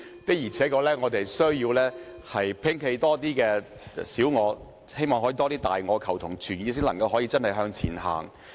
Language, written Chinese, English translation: Cantonese, 我們的確需要摒棄更多小我，亦希望有更多大我，求同存異才可以真正向前走。, We must indeed forsake our personal interests for the greater interests and we must seek common ground while reserve difference in order to move forward